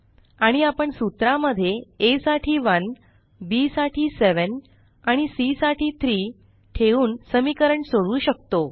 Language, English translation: Marathi, And we can solve the equation by substituting 1 for a, 7 for b, and 3 for c in the formula